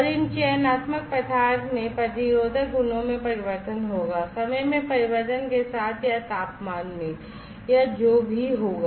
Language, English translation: Hindi, And these selective materials will have the, you know the change in the resistive properties with the with the change in time or change in temperature or whatever